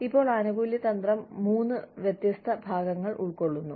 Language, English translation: Malayalam, Now, the benefits strategy consists of three different parts